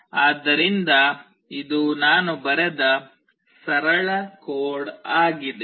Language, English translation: Kannada, So, this is a simple code that I have written